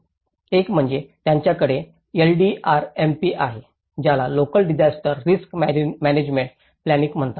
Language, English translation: Marathi, One is they have the LDRMP which is called Local Disaster Risk Management Planning